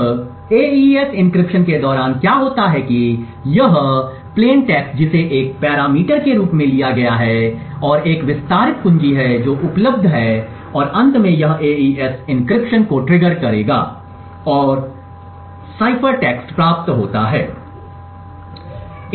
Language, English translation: Hindi, Now what happens during the AES encryption is there is this plain text which is taken as the 1st parameter and there is an expanded key which is also available and finally this would trigger the AES encryption to occur and the cipher text is obtained